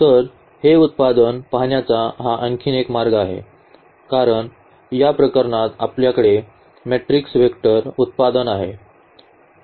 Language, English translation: Marathi, So, this is another way of looking at this product here because, in this case we had the matrix vector product